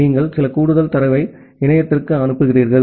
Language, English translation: Tamil, You are sending some additional data to the internet